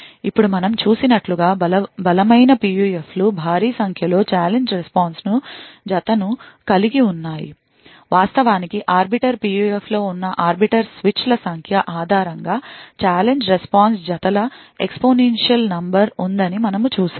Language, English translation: Telugu, Now strong PUFs as we have seen has huge number of challenge response pairs, in fact we have seen that there is exponential number of challenge response pairs based on the number of arbiter switches present in the Arbiter PUF